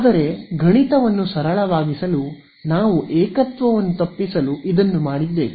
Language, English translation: Kannada, So, this, but to make math simpler we had done this to avoid singularity